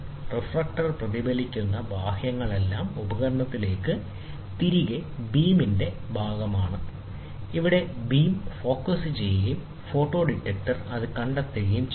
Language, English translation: Malayalam, The external reflecting the reflector reflects all are part of the beam back into the instrument, where the beam is focused and detected by a photo detector